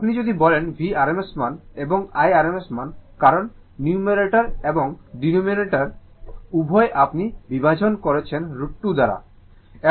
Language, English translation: Bengali, If you say V is the rms value, and I is the rms value, because both numerator and denominator you are dividing by root 2